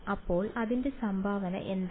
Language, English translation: Malayalam, So, what is its contribution